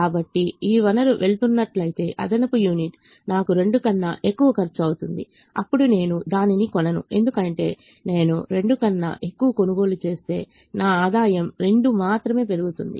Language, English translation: Telugu, so if this resource is going to the extra unit is going to cost me more than two, then i will not buy it, because if i buy it for more than two, my revenue is only going to increase by two